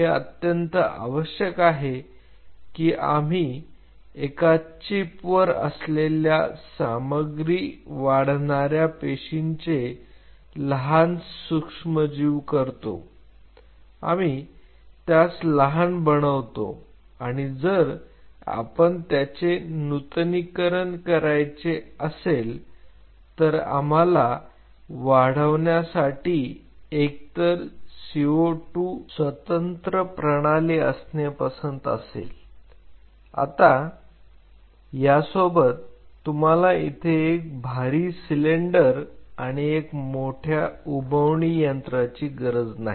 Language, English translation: Marathi, This is very essential that we miniaturized the stuff growing cells on a chip, growing cells on very small substrate, we miniaturized it and if we have to miniaturize it we may prefer to have either CO 2 independent systems to grow, where you do not have to have a bulky cylinder along with it and a huge incubator or we miniaturize the whole setup